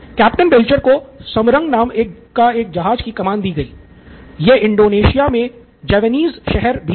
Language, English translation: Hindi, So Captain Belcher was given a command of a ship called Samarang, this is a Javanese city in Indonesia